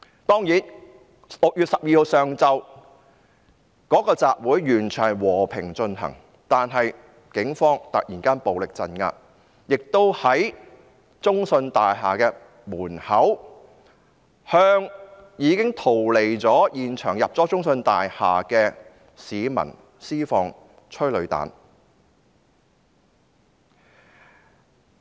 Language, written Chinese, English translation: Cantonese, 當然 ，6 月12日上午的集會是完全和平進行的，但警方突然暴力鎮壓，並在中信大廈門口向已經逃離現場，進入中信大廈的市民施放催淚彈。, Of course the assembly in the morning of 12 June was absolutely peaceful but the Police suddenly used violence to crack down on it and fired tear gas rounds at the entrance of CITIC Tower at the people who had already left the scene and entered CITIC Tower